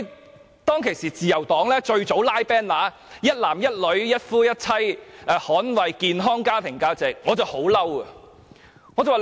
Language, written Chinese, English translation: Cantonese, 因此，當我看到自由黨早早便拉起橫額，展示"一男一女，一夫一妻，捍衞健康家庭價值"時，我感到很憤怒。, Hence when I saw the Liberal Party hang up the banner earlier declaring One man one woman one husband one wife defending healthy family values I flew into rage